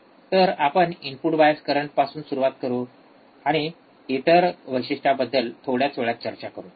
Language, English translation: Marathi, So, we will start with input bias current we will go to another characteristics in a short while